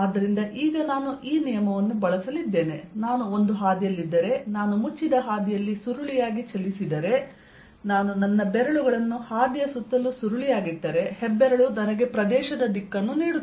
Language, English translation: Kannada, so now i am going to use this convention that if i on a path, if i curl on a closed path, if i curl my fingers around the path, the thumb gives me the direction of the area